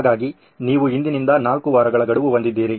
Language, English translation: Kannada, So you have a deadline of 4 weeks from today